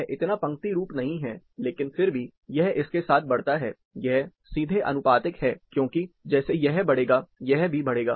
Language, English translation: Hindi, It is not so linear, but still, it increases with the, it is directly proportional, as this increases, this will also increases